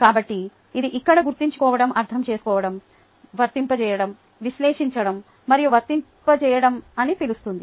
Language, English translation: Telugu, so this calls for remembering ah, understanding, applying, analyzing and then apply